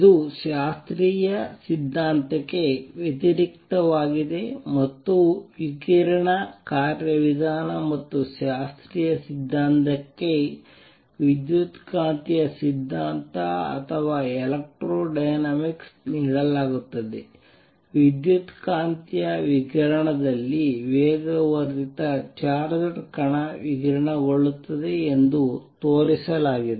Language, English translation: Kannada, It has not been said how they radiate what makes them radiate and so on, contrast that with classical theory contrast this with classical theory and the radiation mechanism and classical theory is given an electromagnetic theory or electrodynamics where it is shown that an accelerating charged particle radiates electromagnetic radiation